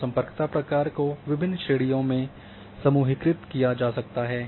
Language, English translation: Hindi, So, connectivity functions can be grouped into various categories